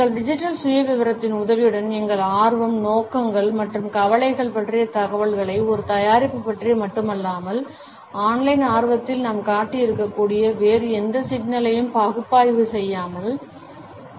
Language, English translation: Tamil, With the help of our digital profile, one can analyse information about our interest, intentions and concerns not only about a product, but also about any other issue about which we might have shown an online curiosity